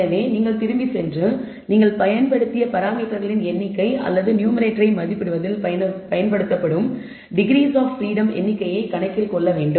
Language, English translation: Tamil, So, you should go back and account for this what we call the number of parameters you have used or the number of degrees of freedom that is used in estimating the numerator